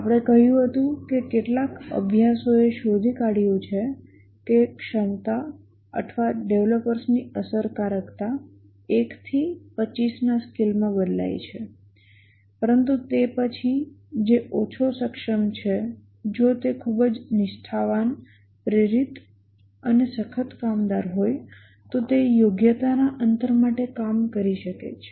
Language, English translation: Gujarati, We had said that some studies found that the competency or the effectiveness of the developers varies from a scale of 1 to 25 but then the one who is less competent if he is very sincere motivated and hard worker he can make up for the gap in the competency